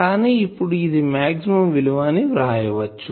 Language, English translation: Telugu, But you write here that this is the maximum value